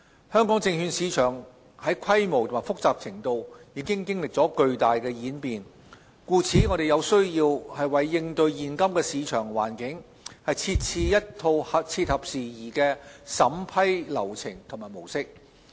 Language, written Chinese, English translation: Cantonese, 香港證券市場在規模及複雜程度已經歷了巨大演變，故此有需要為應對現今的市場環境，設置一套切合時宜的審批流程及模式。, The Hong Kong securities market has gone through tremendous changes in terms of scale and complexity necessitating the establishment of a set of updated procedures and model for vetting and approval to cater to the current market situation